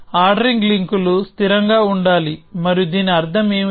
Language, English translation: Telugu, The ordering links should be consistent, and what do I mean by this